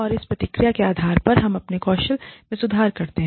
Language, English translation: Hindi, And, based on that feedback, we improve our skills